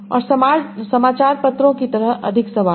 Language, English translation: Hindi, And more questions like news papers